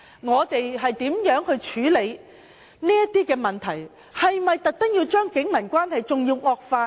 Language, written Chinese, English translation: Cantonese, 我們應如何處理這些問題，是否要特意令警民關係更惡化呢？, How should we deal with these issues? . Should we deliberately intensify the poor relationship between the Police and the public?